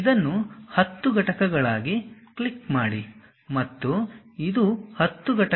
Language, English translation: Kannada, Click this one as 10 units